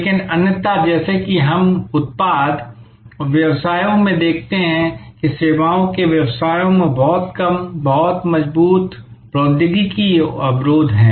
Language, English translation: Hindi, But, otherwise as we see in product businesses there are very seldom, very strong technology barriers in services businesses